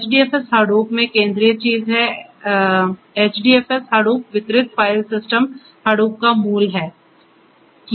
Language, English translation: Hindi, The HDFS is the central thing in Hadoop HDFS Hadoop Distributed File System is the core of Hadoop